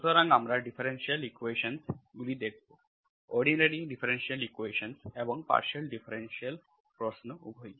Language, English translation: Bengali, So we will be teaching differential equations, will be learning, you will be learning differential equations basically, both the ordinary differential equations and partial differential questions